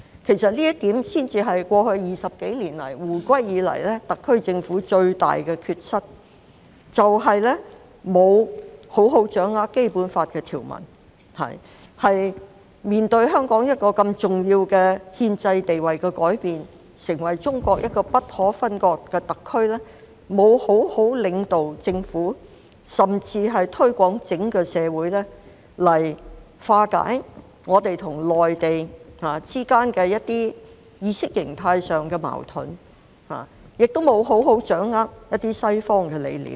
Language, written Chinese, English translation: Cantonese, 其實，這一點才是過去20多年來，自香港回歸以來特區政府最大的缺失，就是沒有好好掌握《基本法》的條文；當面對香港一個如此重要的憲制地位改變，成為中國一個不可分割的特區，沒有好好領導公務員團隊，甚至是在整個社會上作出推廣，來化解我們與內地之間在一些意識形態上的矛盾；亦沒有好好掌握一些西方理念。, In fact this has been the gravest shortcoming of the SAR Government over the past two - odd decades since the reunification of Hong Kong The Government does not have a profound understanding of the stipulations in the Basic Law; in the face of such a significant change in the constitutional status of Hong Kong an SAR which is inseparable from China the Government fails to properly lead the civil service to promote this even in the entire community with a view to resolving the contradictions between Hong Kong and the Mainland in terms of ideology; and the Government also fails to understand certain Western concepts . Let me quote some examples